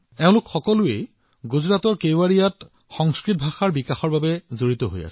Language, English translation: Assamese, All of them together in Gujarat, in Kevadiya are currently engaged in enhancing respect for the Sanskrit language